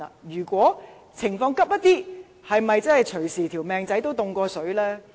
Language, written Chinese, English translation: Cantonese, 如果情況比較緊急，是否隨時"命仔凍過水"呢？, If the situation is critical does it mean their lives would easily be at peril?